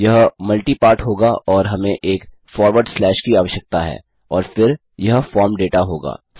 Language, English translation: Hindi, It will be multi part and we need a forward slash and then its form data